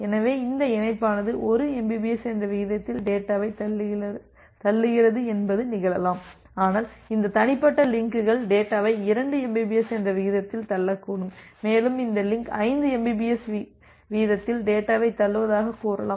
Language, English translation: Tamil, So, that way it may happen that which link is pushing data at a rate of 1 mbps, but this individual links may push data at a rate of 2 mbps and say this link is pushing data at a rate of 5 mbps